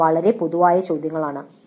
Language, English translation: Malayalam, These are very general questions